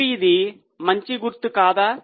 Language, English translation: Telugu, Now, is it a good sign